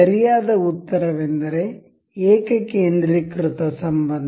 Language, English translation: Kannada, The correct answer is concentric relation